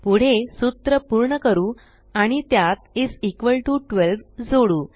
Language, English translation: Marathi, Next let us complete the formula and add is equal to 12 to it